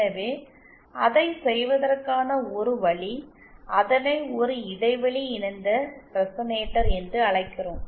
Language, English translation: Tamil, So, one way to do that is what we call a gap couple resonator